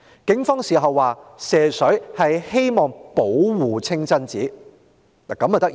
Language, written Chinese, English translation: Cantonese, 警方事後指射水是希望保護清真寺。, Afterwards the Police said they sprayed water at the mosque in order to protect it